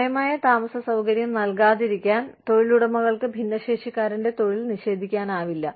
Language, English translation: Malayalam, Employers cannot deny, a differently abled person employment, to avoid providing the reasonable accommodation